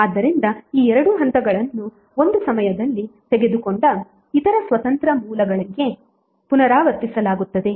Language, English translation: Kannada, So these 2 steps would be repeated for other independent sources taken one at a time